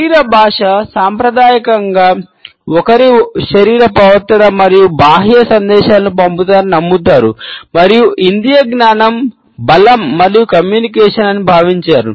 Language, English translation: Telugu, Body language conventionally believed that one sends external messages through body behaviour and it was thought that sensory perception strength and communication